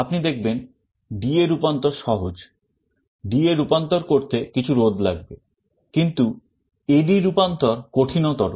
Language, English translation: Bengali, You see D/A conversion is easy, you only need some resistances to make a D/A converter, but A/D conversion is more difficult